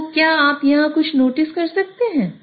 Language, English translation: Hindi, So can you notice something here